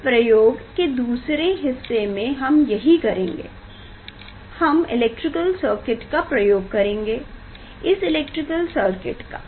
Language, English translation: Hindi, for this experiment, the electrical circuit we will use, this is the electrical circuit